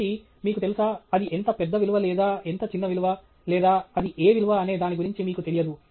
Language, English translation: Telugu, So, there is no sense of, you know, how big a value it is or how small a value it is or even what value it is